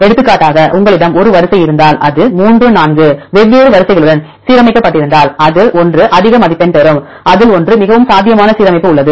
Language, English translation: Tamil, For example, if you have one sequence, if it is aligned with 3 4 different sequences which one has the highest score which one has the most probable alignment